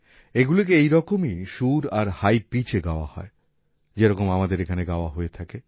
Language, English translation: Bengali, They are sung on the similar type of tune and at a high pitch as we do here